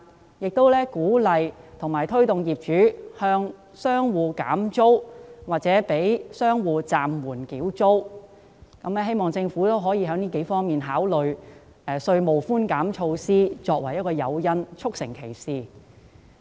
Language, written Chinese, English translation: Cantonese, 我亦鼓勵及推動業主向商戶減租或暫緩商戶繳租，希望政府可考慮以稅務寬減措施作為誘因，促成其事。, I have also encouraged and urged the landlords to reduce rent or suspend the rental payment of their tenants . I hope that the Government will provide tax relief as an incentive to materialize my wish